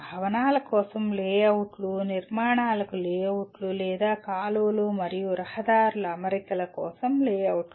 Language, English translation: Telugu, Layouts for buildings, layouts for structures or layouts for alignments for canals and roads